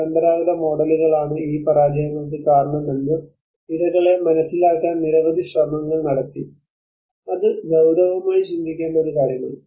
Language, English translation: Malayalam, So many attempts were made to make the victims realize that their traditional models are the reasons for these failures that is one thing one has to seriously think about it